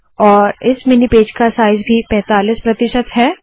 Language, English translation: Hindi, And this mini page also is 45 percent size